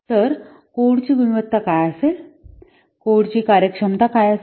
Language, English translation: Marathi, So what will the quality of the code